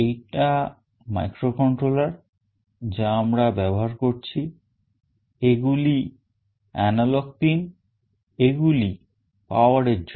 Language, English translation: Bengali, This is the microcontroller that we are using, these are the set of analog pins, these are for the power